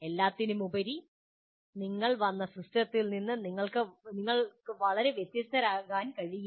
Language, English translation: Malayalam, After all, you can't be very much different from the system from which they have come